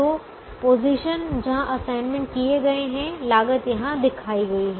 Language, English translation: Hindi, so the positions where the assignments have been made, the costs, are shown here